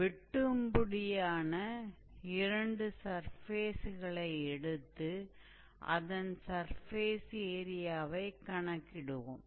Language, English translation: Tamil, We will probably see some examples where we have two intersecting surfaces and how we can calculate the surface area